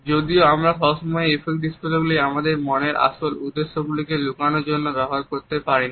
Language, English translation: Bengali, However, we cannot continuously use these affect displays to hide the true intention of our heart